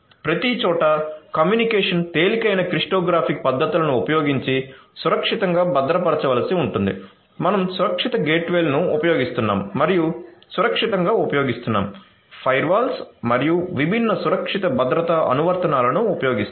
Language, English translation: Telugu, So, the communication you know the communication everywhere will have to be secured suitably using lightweight cryptographic methods, we using gateways secured gateways, using secured, using firewalls and different secure security applications